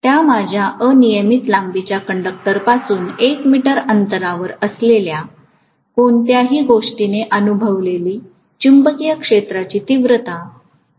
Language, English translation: Marathi, This is what is my magnetic field intensity experienced by anything that is placed at a distance of 1 meter away from that infinitely long conductor